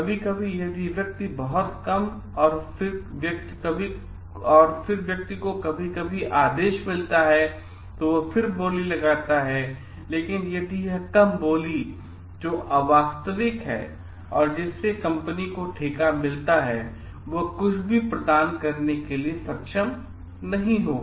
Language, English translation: Hindi, Sometimes if a person bids very low and the person then the person sometimes get order, but if this low bidding is something which is unrealistic, unachievable something which the company who has who got the contract will not be able to provide for